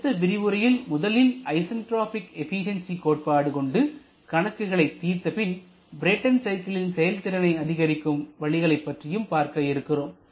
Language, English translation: Tamil, So, in the next lecture we shall be first solving the solving an numerical example using the concept of isentropic efficiency and then we shall be moving on to identify the ways of improving the performance of the ideal Brayton cycle